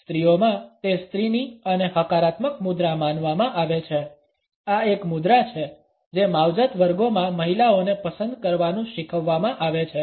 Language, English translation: Gujarati, Amongst women it is considered to be a feminine and positive posture; this is a posture which women in the grooming classes are taught to opt for